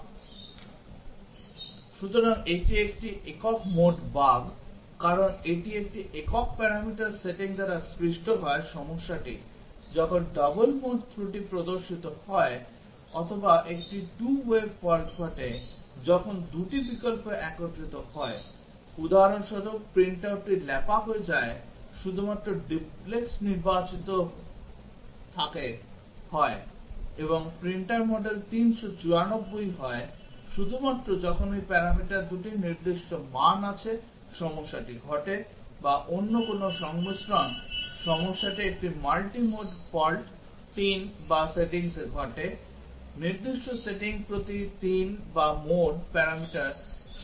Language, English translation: Bengali, So, this is a single mode bug because it is caused by setting of a single parameter the problem appears a double mode fault or a 2 way fault occurs when two options are combined, for example, the print out gets smeared only when duplex is selected and the printer model is 394 only when 2 of this parameters have specific value the problem occurs or no other combination the problem occurs in a multi mode fault 3 or settings, specific setting per 3 or mode parameters caused problem